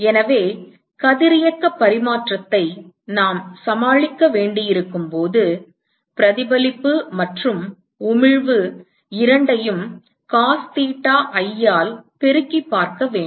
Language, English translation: Tamil, So, note that when we have to deal with radiation exchange, we need to look at both reflection plus emission together right multiplied by cos theta i